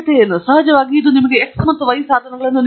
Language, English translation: Kannada, And of course, it gives you the means of x and y